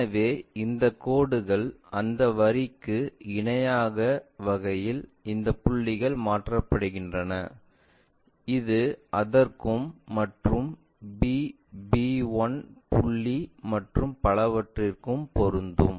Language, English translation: Tamil, So, these point these points transferred in such a way that this line maps to that, this one maps to that and whatever the b b 1 points and so on